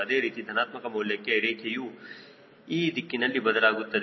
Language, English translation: Kannada, similarly, for positive value, your curve will shift in this direction